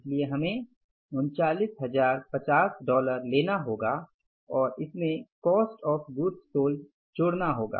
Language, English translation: Hindi, So this we have to take is dollars $39,050 and add cost of goods sold